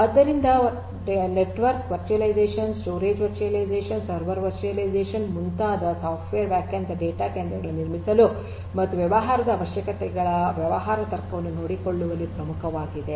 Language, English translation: Kannada, So, network what network virtualization, storage virtualization, server virtualization and so on these are core to building software defined data centres and taking care of the business requirements business logic these also will have to be taken care of adequately